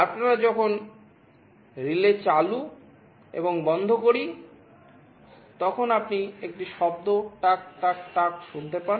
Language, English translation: Bengali, When we switch a relay ON and OFF, you can also hear a sound tuck tuck tuck tuck like this